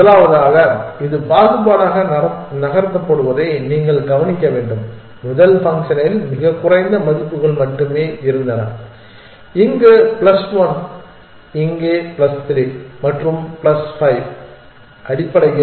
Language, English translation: Tamil, First of all you must notice that it is moved discriminative the first function had only very few set of values plus 1 here plus 3 here and plus 5, there essentially